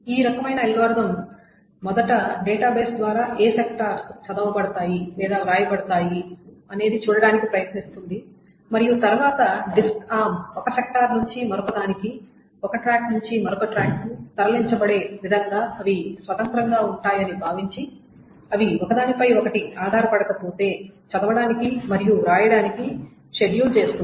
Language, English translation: Telugu, So, what it does is that this kind of algorithm first tries to see what are the sectors that are going to be read or written by the database and then it schedules such read and write unless they are dependent on each other, assuming they are independent, such that the disk arm is moved from one sector to the another, from one track to the another